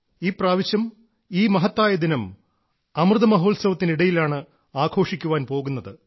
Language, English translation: Malayalam, This time this pride filled day will be celebrated amid Amrit Mahotsav